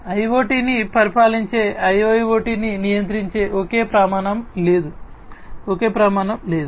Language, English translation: Telugu, There are no there is no single standard that governs IIoT that governs IoT, there is no single standard